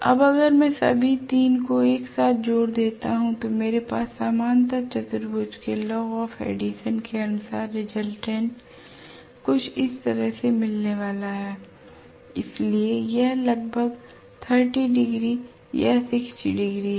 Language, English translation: Hindi, Now if I add all the 3 together right, I will have the resultant by parallelogram law of addition somewhat like this which is going to be like this, so this is about 30 degrees or 60 degrees